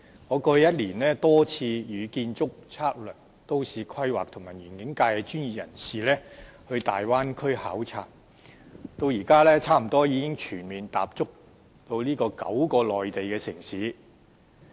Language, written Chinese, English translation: Cantonese, 我過去一年多次與建築、測量、都市規劃及園境界的專業人士前往大灣區考察，至今已幾乎全面踏足這9個內地城市。, Last year I visited the Bay Area many times with the professionals of the Architectural Surveying Planning and Landscape functional constituency . To date I have almost comprehensively visited the nine Mainland cities concerned